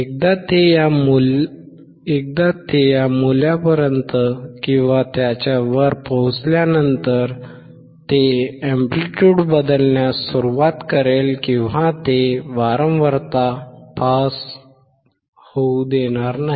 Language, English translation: Marathi, Once it reaches this value and above it will start changing the amplitude or it will not allow the frequency to pass